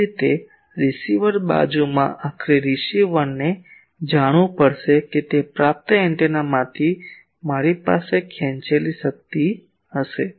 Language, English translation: Gujarati, Similarly in the receiver side ultimately receiver will have to know that I will have extract power from the receiving antenna